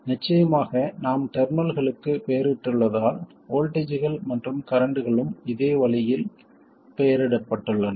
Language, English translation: Tamil, And of course because we have named the terminals, the voltages and currents are also named in a similar way